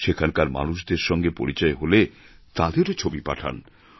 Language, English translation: Bengali, If you happen to meet people there, send their photos too